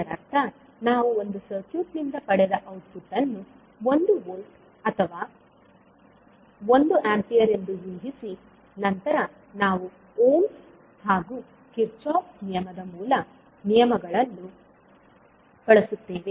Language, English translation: Kannada, But in case of ladder method we first assume output, so it means that we will assume say one volt or one ampere as an output, which we have got from this circuit and then we use the basic laws of ohms and Kirchhoff’s law